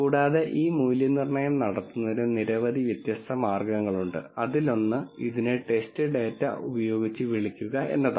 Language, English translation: Malayalam, Also there are many different ways of doing this validation as one would call it with test data